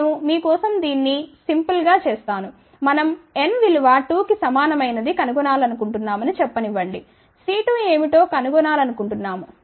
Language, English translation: Telugu, I will just make it simple for you people let us say we want to find for n equal to 2 let say we want to find what is C 2